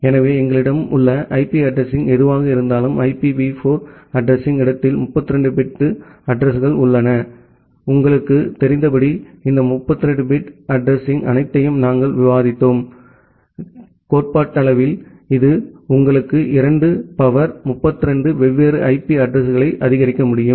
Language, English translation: Tamil, So, whatever IP address we have, in the IPv4 address space with 32 bit addresses and as you know, we have we have discussed that these 32 bit IP address all though, theoretically it can support you 2 to the power 32 different IP addresses